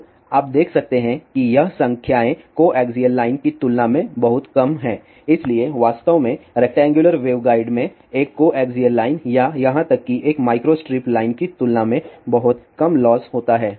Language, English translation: Hindi, So, you can see that these numbers are very small compare to even coaxial line so in fact, in general rectangular wave guides have much lower losses compare to a coaxial line or even a micro strip line